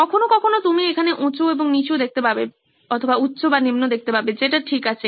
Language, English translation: Bengali, Sometimes you will find that there are high and low which is fine